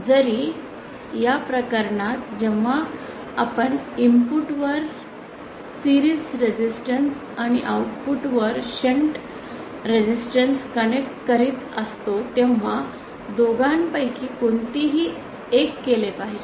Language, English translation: Marathi, Even in this case when we are connecting series resistance at the input and the shunt resistance at the output any one of the two has to be done